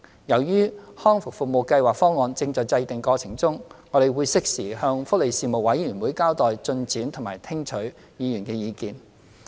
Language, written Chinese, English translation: Cantonese, 由於《香港康復計劃方案》正在制訂過程中，我們會適時向福利事務委員會交代進展及聽取議員的意見。, As the formulation of the Hong Kong Rehabilitation Programme Plan is ongoing we will update the Panel on Welfare Services of the progress and listen to the views of Members in due course